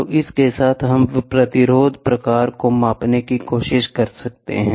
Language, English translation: Hindi, So, with this, we can try to measure the resistance type